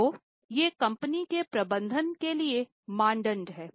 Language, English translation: Hindi, So, these are the norms for managing the company